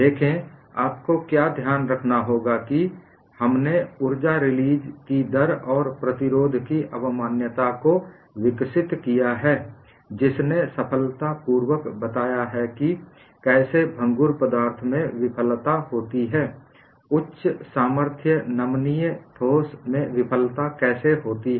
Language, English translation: Hindi, See, what you will have to keep in mind is we have developed the concept of energy release rate and resistance, which has successfully explained how failure occurs in brittle materials, how failure occurs in high strength ductile solids